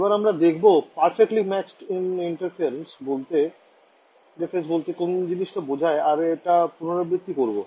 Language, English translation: Bengali, So, now we are going to look at what is called a perfectly matched interface and this is by means of revision